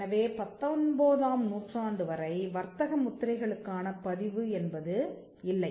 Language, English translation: Tamil, So, till the 19th century there was no registration for trademarks